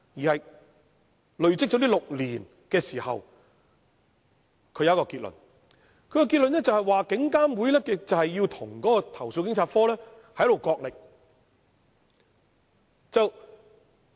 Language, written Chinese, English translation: Cantonese, 他累積6年經驗後得出一個結論，就是警監會要與投訴警察課角力。, Having accumulated six years experience he came to the following conclusion IPCC had to tussle with CAPO